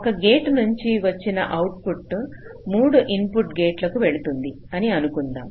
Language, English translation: Telugu, suppose the output of a gate goes to the input of three gates